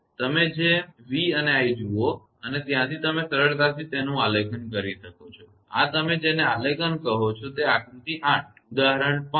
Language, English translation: Gujarati, You look at that v and i and from there you can easily plot it; this is what you call the plot; that figure 8; example 5